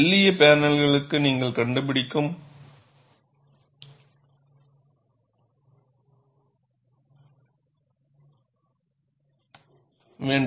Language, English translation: Tamil, For thin panels, you need to find out